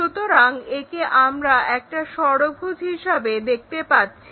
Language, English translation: Bengali, So, that one what we are seeing it as a hexagon